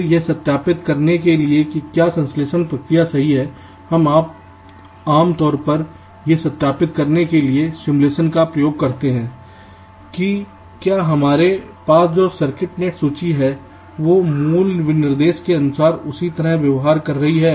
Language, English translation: Hindi, then, in order to verify whether the synthesis process is correct, we usually use simulation to verify that, whether the circuit net list that we have obtained behaves in the same way as for the original specification